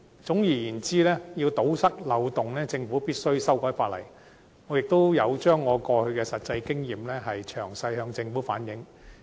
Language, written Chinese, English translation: Cantonese, 總而言之，要堵塞漏洞，政府必須修改法例，我也有把我的實際經驗詳細向政府反映。, In gist the Government must amend the legislation in order to plug the loopholes . I have also conveyed my practical experience to the Government in detail